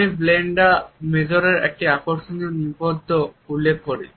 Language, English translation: Bengali, I refer to an interesting article by Brenda Major